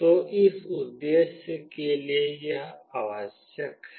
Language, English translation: Hindi, So, for that purpose this is required